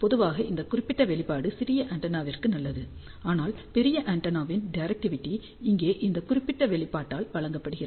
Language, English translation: Tamil, Now, this particular expression is good generally for small antenna; but for larger antenna directivity is given by this particular expression here